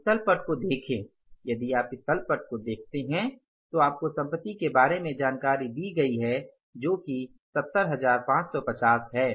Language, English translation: Hindi, If you look at this balance sheet, you are given the information about assets which is 70,550